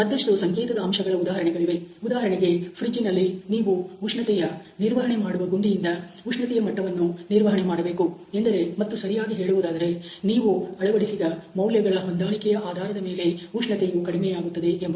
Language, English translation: Kannada, There can be other example of signal factor for example, in refrigerator if you want to take the control the temperature control knob to a certain level of temperature and obviously, there is going to be a fall of temperature based on whatever set values that you have incorporated